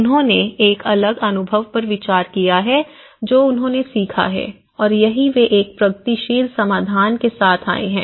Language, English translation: Hindi, Because they have considered a different experiences what they have learned and that is where they have come up with a progressive solutions